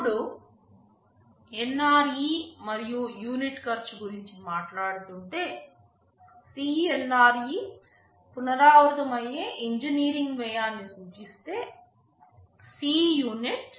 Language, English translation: Telugu, Now, talking about the NRE and unit cost, if CNRE denotes the non recurring engineering cost, and Cunit denotes the unit cost